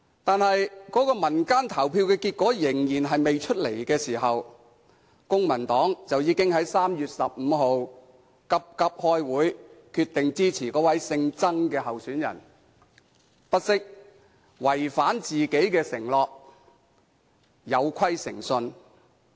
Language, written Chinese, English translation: Cantonese, 但是，那個民間投票還未有結果，公民黨已經在3月15日急急開會，決定支持那位姓曾的候選人，不惜違反自己的承諾，有虧誠信。, However before the announcement of the result of PopVote the Civic Party hastily held a meeting on 15 March and announced its decision to support the candidate surnamed TSANG at the expense of violating its promise and compromising its integrity